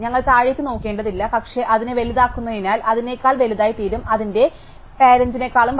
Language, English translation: Malayalam, We do not have to look down, but because we make it bigger, it can become bigger than its parent and in fact, it does happen